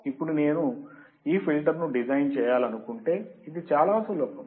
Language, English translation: Telugu, Now, if I want to design this filter, it is very simple